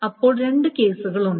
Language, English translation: Malayalam, So there are two ways